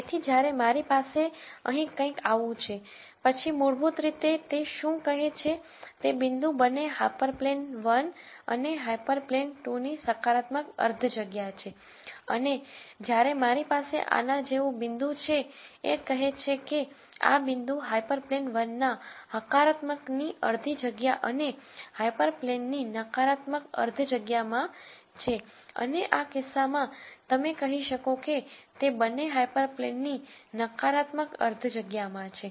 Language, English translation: Gujarati, So, when I have something like this here then basically what it says is, the point is in the positive half space of both hyper plane one and hyper plane 2 and when I have a point like this, this says the point is in the positive half space of hyper plane 1 and the negative half space of hyper plane 2 and in this case you would say it is in the negative half space of both the hyper planes